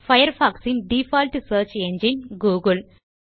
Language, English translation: Tamil, The default search engine used in Mozilla Firefox is google